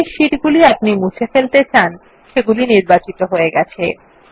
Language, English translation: Bengali, This selects the sheets we want to delete